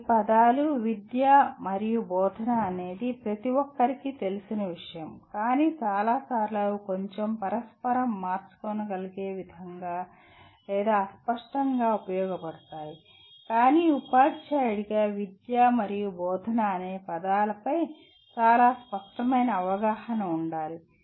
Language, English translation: Telugu, These are words, education and teaching are something that everybody is familiar with but many times they are used a bit interchangeably or ambiguously and so on but as a teacher one is required to have a clear understanding of the words “education” and “teaching” which we will explore in the following unit